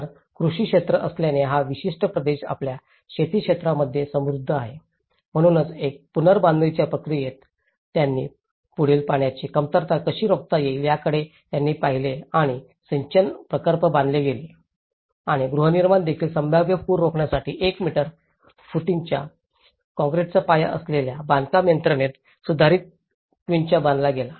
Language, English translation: Marathi, So, because being an agricultural sector, this particular region is rich in its agricultural sector, so one is in the reconstruction process, they looked at how to prevent the further water shortage and dams have been irrigation projects have been built and also from the housing the construction system with concrete foundations of 1 meter footings to prevent possible floods was built an improved quincha